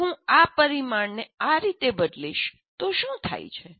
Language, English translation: Gujarati, If I change this parameter this way, what happens